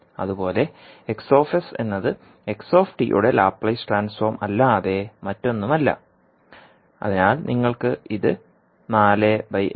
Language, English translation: Malayalam, Similarly sX is nothing but Laplace transform of xt so you can simply write it as four upon s plus one